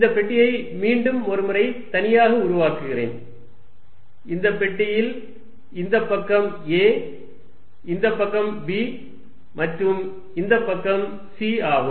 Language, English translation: Tamil, Let me make this box separately once more, this is the box for this side being a, this side being b and this side being c